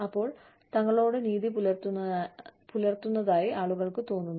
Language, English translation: Malayalam, So, people feel that, they are being treated fairly